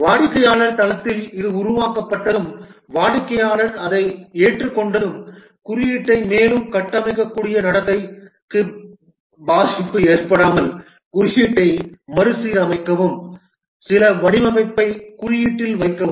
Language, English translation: Tamil, Once it is developed at the customer site and the customer accepts it, restructure the code without affecting the behavior such that the code becomes more structured, put some design into the code